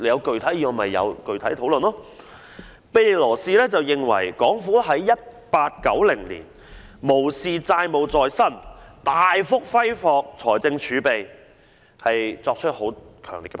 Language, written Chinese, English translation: Cantonese, 在1890年，庇理羅士對港府無視債務纏身、大幅揮霍財政儲備，作出強烈批評。, In 1890 Belilos strongly criticized the then Government of squandering a large part of its fiscal reserves disregardless of its debt - ridden status